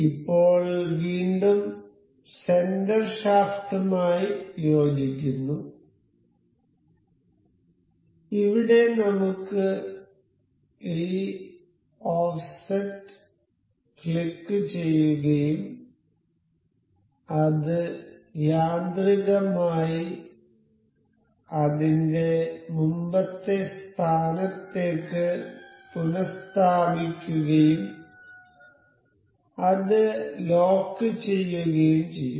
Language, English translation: Malayalam, So, now, again we will coincide the center shaft and here we have this offset will click and it will automatically restore to its previous position and lock that